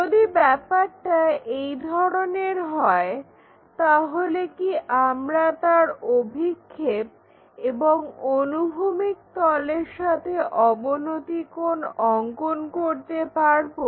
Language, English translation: Bengali, If, that is the case can we draw it is projections and it is inclination angle with horizontal plane